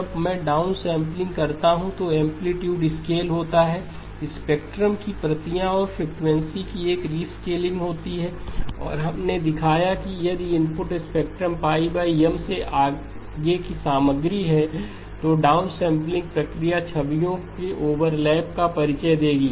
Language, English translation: Hindi, When I do the downsampling, there is amplitude scaling, shifted copies of the spectrum and a rescaling of the frequency and we have shown that if the input spectrum has content beyond pi over M then the downsampling process will introduce overlapping of images